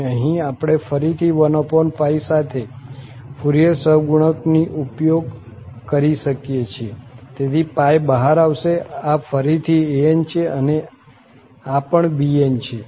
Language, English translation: Gujarati, And then here we have again use the Fourier coefficient with this 1 over pi, so the pi will come outside then, this is again an and this has also bn